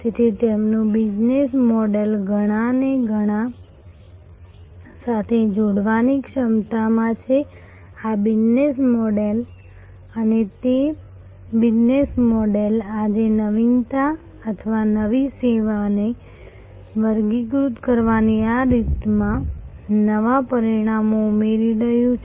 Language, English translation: Gujarati, So, their business model is in this ability to connect many to many, this is the business model and that business model is today adding new dimensions to this way of classifying innovation or new service